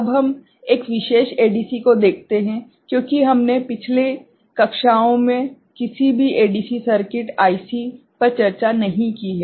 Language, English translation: Hindi, Now, we look at one particular ADC, because we have not discussed any ADC circuit, IC example in the previous classes